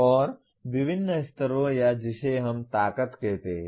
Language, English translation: Hindi, And to varying levels or what we call strengths